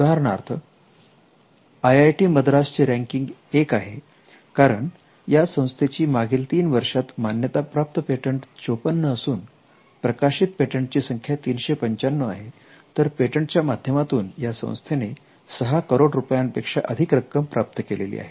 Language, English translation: Marathi, For instance, IIT Madras which has been ranked 1, the data sheet shows that the number of patents granted is 54 in the last 3 calendar years and the number of published patents is 395 and the earnings through patent is also mentioned that in excess of 6 crores